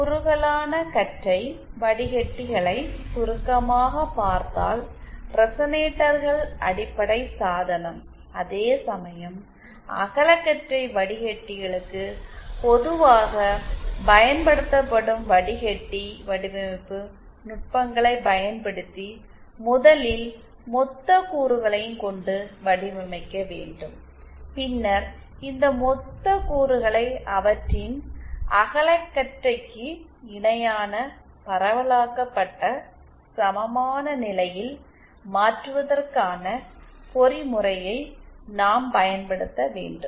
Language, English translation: Tamil, So as to summarise for narrowband filters, resonators are the fundamental entity, whereas for broadband filters, we 1st design using the traditional filter design techniques using lumped elements and then we have to find the mechanism to convert these lumped elements to their broadband to their distributed equivalent